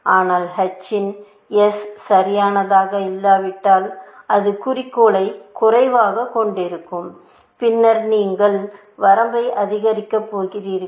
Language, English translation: Tamil, But if h of s is not perfect, it would just be short of goal little bit and then, you are going to increment the bound